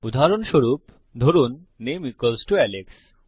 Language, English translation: Bengali, Say for example, name equals to Alex